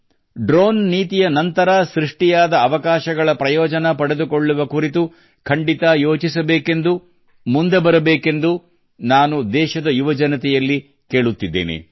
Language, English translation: Kannada, I will also urge the youth of the country to certainly think about taking advantage of the opportunities created after the Drone Policy and come forward